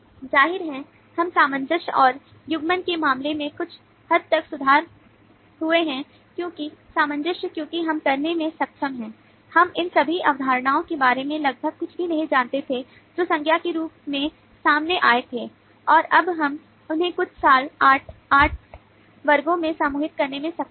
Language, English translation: Hindi, obviously we have improved somewhat in terms of cohesion and coupling, because cohesion, because we have been able to, we knew nothing almost about all these concepts that came up as nouns and now we have been able to group them into some seven, eight broad classes